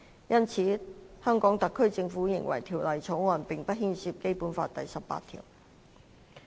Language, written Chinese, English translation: Cantonese, 因此，香港特區政府認為《條例草案》並不牽涉《基本法》第十八條。, The HKSAR Government therefore considers that Article 18 of the Basic Law is not engaged in the Bill